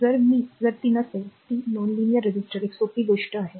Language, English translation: Marathi, If it is not that is non linear resistor simple thing, right